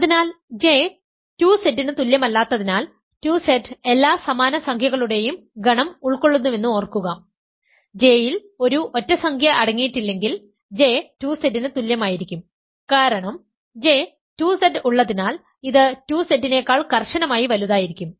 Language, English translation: Malayalam, So, because J is not equal to 2Z, remember 2Z contains the set of all even integers, if J does not contain an odd integer, J would be equal to 2Z because J contains 2Z only way that it can be strictly bigger than 2Z is if it contains an odd integer let us call it a